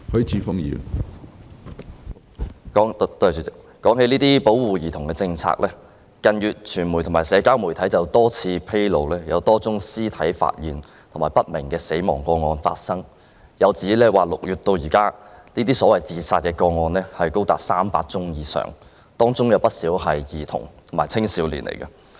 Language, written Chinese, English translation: Cantonese, 主席，說到保護兒童政策，傳媒及社交媒體於近月曾披露多宗屍體發現及死因不明個案，並指出從6月至今，這類所謂自殺個案高達300宗以上，當中有不少涉及兒童及青少年。, President when it comes to the policy on protection of children it should be noted that a number of dead body found cases and cases of death of unknown cause have been reported in the press and social media in recent months . It has also been pointed out that since June this year the number of the so - called suspected suicide cases is as high as over 300 and many of them involved children and youngsters